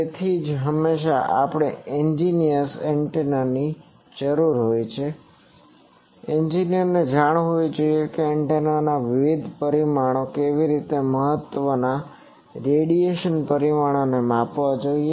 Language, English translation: Gujarati, So, that is why always we need also an engineer’s antenna, engineer should know that how to measure antennas various parameters important radiation parameters